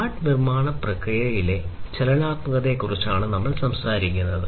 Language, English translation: Malayalam, Smart manufacturing process talks about the dynamism in the manufacturing